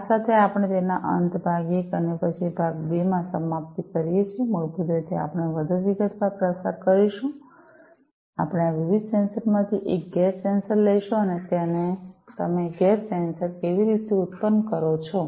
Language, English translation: Gujarati, With this we come to an end of it the part 1 and then in part 2 basically we will go through the in more detail we will take up one of these different sensors the gas sensor and how you know you produce the gas sensors right